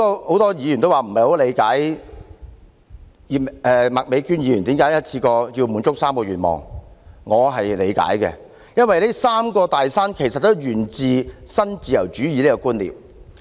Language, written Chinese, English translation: Cantonese, 很多議員說，不理解麥美娟議員為何要一次過滿足3個願望，但我是理解的，因為這"三座大山"其實也是源自新自由主義的觀念。, Many Members said they do not understand why Ms Alice MAK wants to fulfil three wishes in one go but I understand it . Because these three big mountains all have their roots in neoliberalism